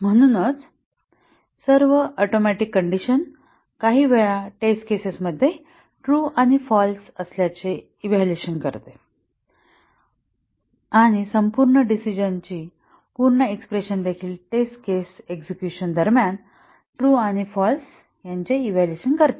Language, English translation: Marathi, So, all atomic conditions evaluate to true and false sometimes during the test case executions and also the complete decision complete expression also evaluates to true and false during the test case execution